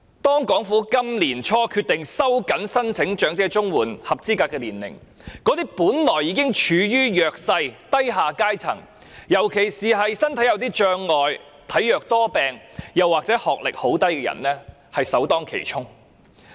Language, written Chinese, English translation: Cantonese, 政府今年年初決定提高申請長者綜援的合資格年齡，令本來已經處於弱勢的低下階層，尤其是身體有障礙、體弱多病或學歷很低的人士首當其衝。, The already underprivileged lower class in particular the disabled the infirm or people with a low educational attainment were the first ones to bear the brunt of the Governments decision to raise the eligible age for elderly CSSA at the beginning of this year